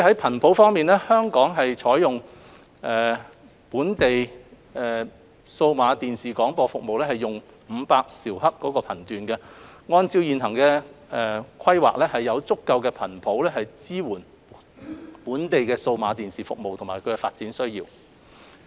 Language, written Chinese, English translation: Cantonese, 頻譜方面，香港採用本地數碼電視廣播服務為500兆赫頻段，按照現行規劃，有足夠的頻譜支援本地的數碼電視服務和發展需要。, As regards spectrum the 500 MHz band is used for the provision of local digital TV broadcasting services in Hong Kong . The existing plan provides sufficient spectrum to support local digital TV services and development needs